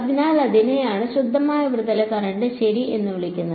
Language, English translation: Malayalam, So, that is what is called a pure surface current ok